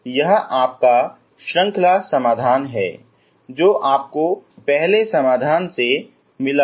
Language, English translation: Hindi, This is your series solution which you got from the first solution, okay